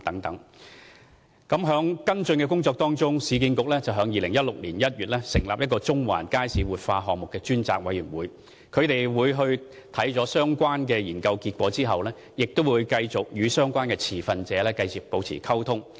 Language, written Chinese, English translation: Cantonese, 市建局為跟進有關工作，於2016年1月成立中環街市活化項目專責委員會，他們參考相關研究結果後，會繼續與相關持份者保持溝通。, In order to carry out the follow - up work URA set up an Ad Hoc Committee on the Central Market Revitalization Project in January 2016 . The Ad Hoc Committee will continue to communicate with the stakeholders after taking into account the result of the study concerned